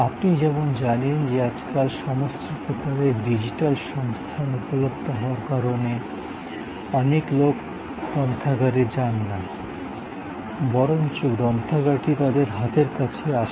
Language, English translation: Bengali, As you know today with all kinds of digital resources being available, many people do not go to the library, but that the library comes to their desktop